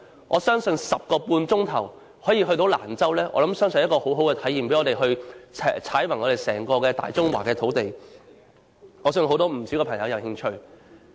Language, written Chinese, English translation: Cantonese, 我相信 10.5 小時可以抵達蘭州是很好的體驗，讓我們踏遍大中華的土地，我相信不少朋友會有興趣。, I think it will be a very good experience to travel to Lanzhou in 10.5 hours seeing under our eyes the vast land and various parts of our country . I believe not a few people will be interested